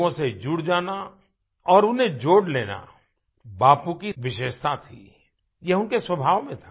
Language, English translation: Hindi, Getting connected with people or connecting people with him was Bapu's special quality, this was in his nature